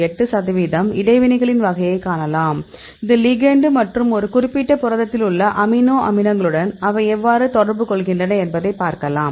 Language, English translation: Tamil, 8 percent; you can see the type of interactions; this is the ligand and you can see how they are interacting with the amino acids in a particular protein